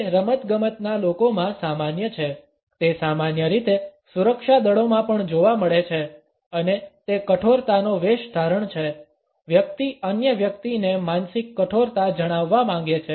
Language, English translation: Gujarati, It is common in sports people, it is also commonly visible in security forces and it is an impersonation of the toughness; the person wants to convey a mental toughness to the other person